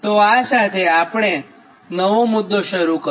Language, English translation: Gujarati, so this is a new topic started